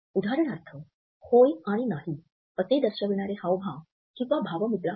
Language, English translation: Marathi, For example, the gestures indicating yes and no